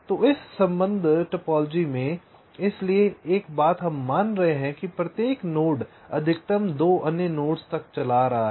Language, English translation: Hindi, so in this connection topology, so one thing, we are assuming that every node is driving up to maximum two other nodes